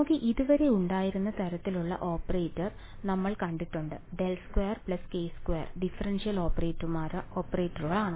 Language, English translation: Malayalam, We have seen the kind of operators that we have had so far right, del squared plus k squared differentiation operators are there